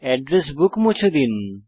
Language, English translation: Bengali, The address book is deleted